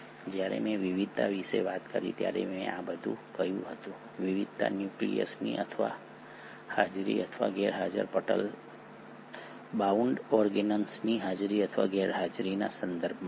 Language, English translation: Gujarati, I said all this while I spoke about the diversity, the diversity was in terms of the presence or absence of nucleus, the presence or absence of membrane bound organelles